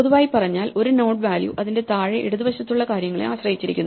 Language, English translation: Malayalam, In general a node the value depends on things to it left and below